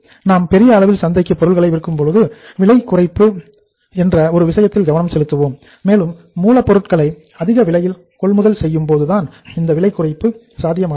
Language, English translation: Tamil, When we are going to sell our product to the masses in that case we are going to focus upon one thing that is cost reduction and the cost reduction is possible when you acquire the raw material in bulk